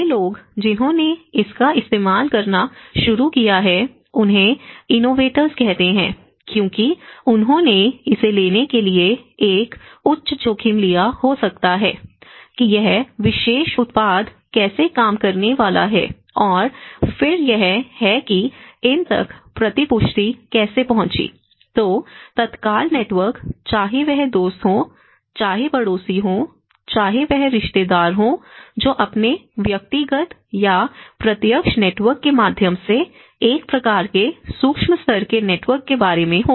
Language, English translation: Hindi, So, the earlier innovators, we call them as innovators because these are the first people who started using it, they might have taken a high risk to take this as how this particular product is going to work and then this is how the feedback have reached to the early adopters, so then the immediate network whether it is a friend, whether is a neighbour, whether it is the relative that is about a kind of micro level networks through their personal or a direct networks